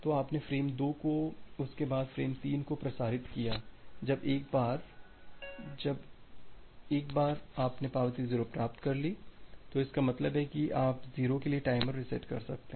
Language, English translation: Hindi, So, you have transmitted frame 2 then, frame 3 when once you have received the acknowledgement 0 then; that means, you can reset the timer for 0